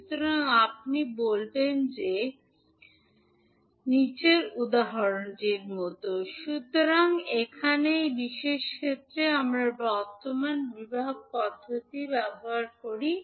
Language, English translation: Bengali, So, here in this particular case we used current division method